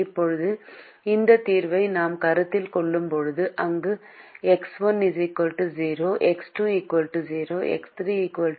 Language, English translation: Tamil, now, when we consider this solution where x one equal to zero, x two equal to zero, x three equal to minus four and x four equal to minus ten